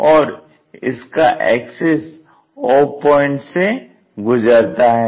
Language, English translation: Hindi, Axis, axis goes all the way through o